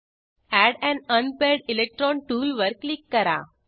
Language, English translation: Marathi, Click on Add an unpaired electron tool